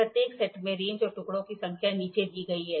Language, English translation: Hindi, The ranges are the ranges and the number of pieces in each set are given below